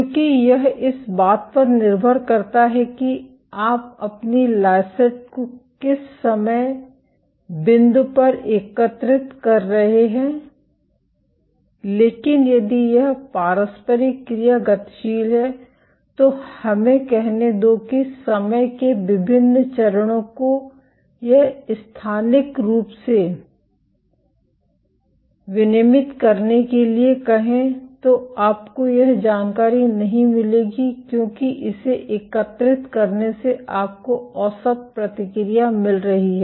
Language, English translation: Hindi, Because it depends at what time point you are collecting your lysate, but if this interaction is dynamic let us say different stages of time or spatially regulated then you will not get this information because by collecting this you are getting an average response